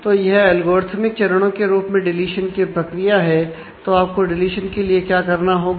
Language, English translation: Hindi, So, this is the deletion process in terms of algorithmic steps and what you need to do for deletion